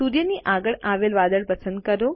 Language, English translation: Gujarati, Select the cloud next to the sun